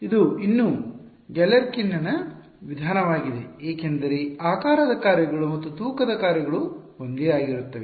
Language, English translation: Kannada, This is still Galerkin’s method because the shape functions and the weight functions are the same